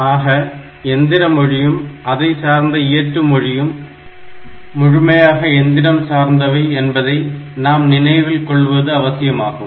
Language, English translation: Tamil, So, it is important to remember that a machine language, and it is associated assembly language are completely machine dependent